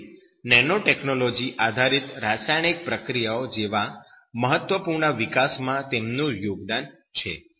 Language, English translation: Gujarati, So, his contribution is one of the important developments in these nanotechnology based chemical processes